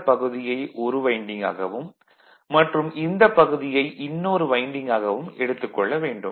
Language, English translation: Tamil, This one we consider as 1 winding and this one, we consider another winding right